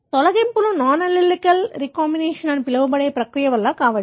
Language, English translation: Telugu, The deletions could be due to a process called as non allelic recombination